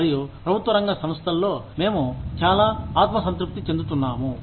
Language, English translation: Telugu, And, in public sector organizations, we get so complacent